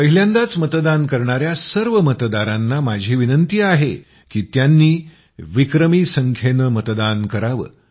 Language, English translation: Marathi, I would also urge first time voters to vote in record numbers